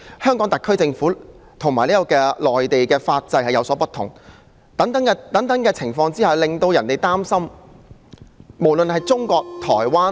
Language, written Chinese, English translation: Cantonese, 香港特區政府和內地法制有所不同，諸等情況令人擔心，無論是中國、台灣......, The legal systems in the Hong Kong SAR and in the Mainland are different and the situation is worrying